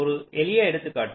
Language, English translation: Tamil, just take an example